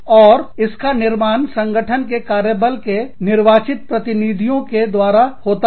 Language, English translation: Hindi, And, it is made up of elected representatives, within the firm's workforce